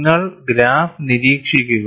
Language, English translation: Malayalam, And you have a graph